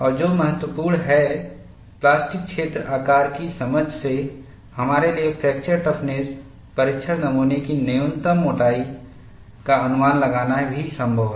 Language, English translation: Hindi, And what is important is, from the understanding of plastic zone size, it is also possible for us, to estimate a minimum thickness of fracture toughness test specimen